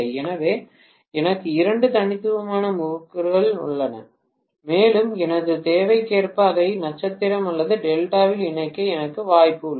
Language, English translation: Tamil, So, I have two distinct windings and I have the opportunity to connect it in either star or delta as per my requirement